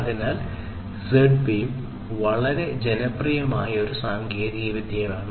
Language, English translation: Malayalam, So, that is why Z wave is a very popular technology